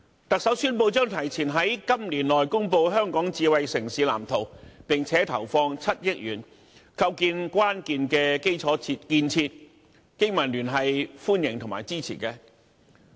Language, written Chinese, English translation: Cantonese, 特首宣布將提前在今年內公布香港智慧城市藍圖，並投放7億元，構建關鍵的基礎建設，經民聯對此表示歡迎和支持。, As announced by the Chief Executive the Government will make public the Smart City Blueprint for Hong Kong within this year ahead of the original schedule . It will invest 700 million to push ahead with key infrastructure projects